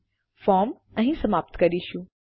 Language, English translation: Gujarati, Well end our form here